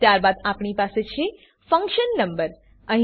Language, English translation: Gujarati, Then we have function number